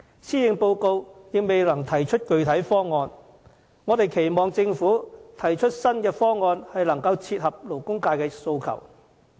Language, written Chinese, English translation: Cantonese, 施政報告仍未能提出具體方案，我們期望政府提出新方案，切合勞工界的訴求。, We hope the Government while failing to come up with a specific proposal in the Policy Address can put forward new measures that meet the aspirations of the labour sector